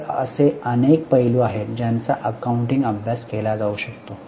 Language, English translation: Marathi, So, there are a number of aspects which can be studied in accounting